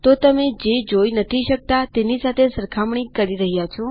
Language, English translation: Gujarati, So, youre comparing what you cant see